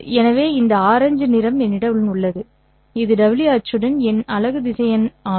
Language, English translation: Tamil, So this orange color one is my unit vector along the w axis